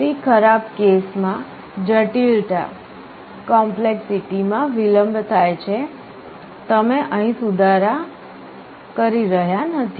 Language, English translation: Gujarati, The worst case delays complexity you are not improving here